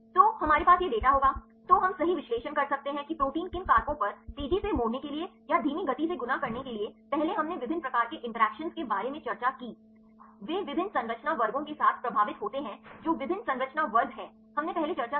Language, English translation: Hindi, So, we will have this data, then we can analyze right what factors at what influence the proteins to fold fast or to fold slow right earlier we discussed about the different types of interactions also they are influence with different structure classes what are different structure classes we discussed earlier